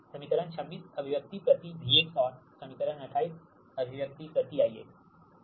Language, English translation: Hindi, equation twenty six, the expression per v x, and equation twenty eight, expression per i x